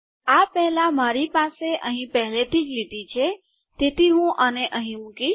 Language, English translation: Gujarati, Before this I already have the line here so let me just put this here